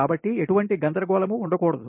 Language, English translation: Telugu, so there should not be any confusion, right